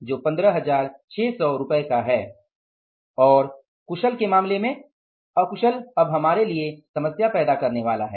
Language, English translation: Hindi, And in case of the unskilled, unskilled is now is going to create the problem for us